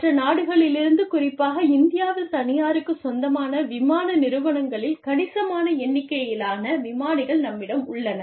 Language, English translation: Tamil, We have a number, a significant number of pilots, from other countries, in the, especially in the, privately owned airlines, in India